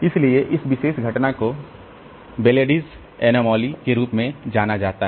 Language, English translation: Hindi, So, this particular phenomena is known as Bellardis anomaly